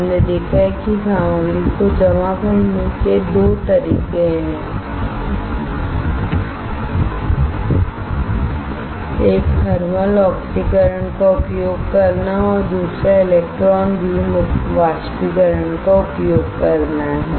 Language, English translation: Hindi, We have seen 2 way of depositing the material one is using thermal evaporator one is using electron beam evaporator